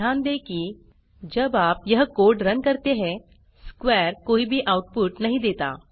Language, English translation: Hindi, Note that when you run this code, square returns no output